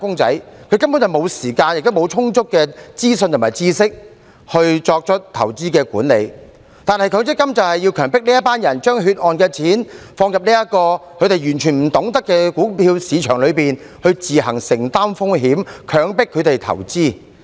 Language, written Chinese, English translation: Cantonese, 這些"打工仔"根本沒有時間，亦沒有充足的資訊和知識來作出投資管理，但強積金計劃便是強迫這群人將血汗錢放入這個他們完全不懂得的股票市場裏，並且自行承擔風險，強迫他們投資。, These employees basically do not have time sufficient information and knowledge to manage their investments . However MPF schemes force this group of people to put their hard - earned money into this equity market which they know nothing at all and to shoulder their own risks . These people are forced to invest